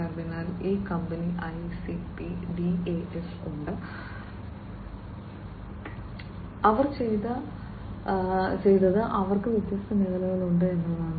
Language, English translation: Malayalam, So, there is this company ICP DAS and you know, what they have done is they have different, different, different sectors, right